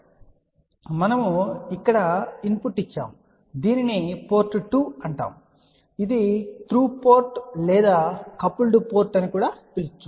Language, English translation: Telugu, So, we had giving a input here this is known as port 2 which is a through put or also known as coupled port